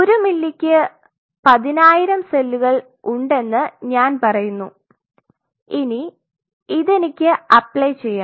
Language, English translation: Malayalam, So, there are say 10000 cells per ml, now I want to play